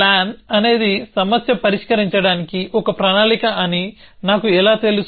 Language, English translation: Telugu, How do I know that the plan is a plan for solving a problem